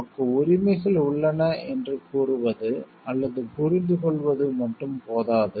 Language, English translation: Tamil, It is not enough to claim or to understand that we have rights